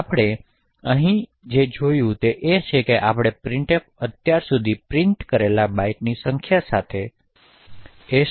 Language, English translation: Gujarati, So, what we have seen here is that we have been able to change the value of s with the number of bytes that printf has actually printed so far